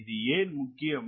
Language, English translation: Tamil, why that is important